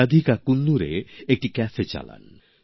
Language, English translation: Bengali, Radhika runs a cafe in Coonoor